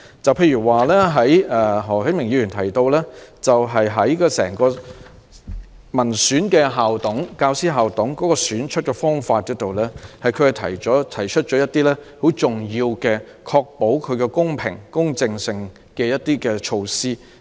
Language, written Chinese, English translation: Cantonese, 舉例說，何啟明議員就校董會內民選產生的教師代表的選舉方法，提出了一些能夠確保其公平、公正性的重要措施。, Mr HO Kai - ming has proposed important measures to ensure the impartiality of the process in electing teacher representatives in the Incorporated Management Committees IMCs by democratic elections